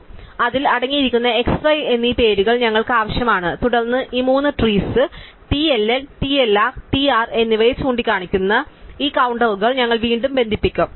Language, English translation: Malayalam, So, we need this names x and y to the contents and then we have this counters pointing to these three trees TLL, TLR and TR and then we reconnect that